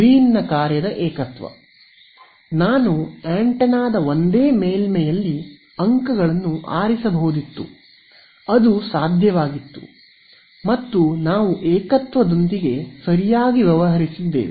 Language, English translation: Kannada, The Green's function singularity, I could have chosen the points to be on the same on the surface of the antenna right it's possible and we have dealt with singular integrals right